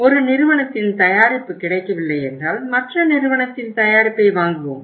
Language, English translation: Tamil, If the one company’s product is not available we replace with the other company’s product